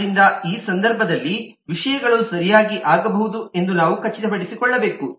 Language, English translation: Kannada, so we need to make sure that in this context things can happen correctly